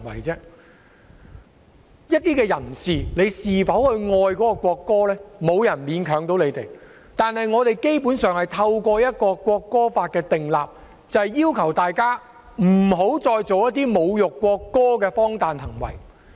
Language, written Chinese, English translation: Cantonese, 至於某些人是否愛國歌，沒有人可以勉強他們，但我們基本上是透過制定《條例草案》，要求大家不要再做一些侮辱國歌的荒誕行為。, As to whether some people would love the national anthem no one can force them to do so but basically we enact the Bill to require people not to engage in any absurd behaviours which will insult the national anthem